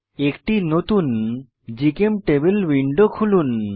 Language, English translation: Bengali, Lets open a new GChemTable window